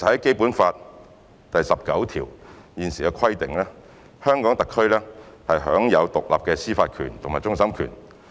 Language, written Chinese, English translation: Cantonese, 《基本法》第十九條訂明特區享有獨立的司法權及終審權。, Article 19 of the Basic Law stipulates that the SAR shall be vested with independent judicial power including that of final adjudication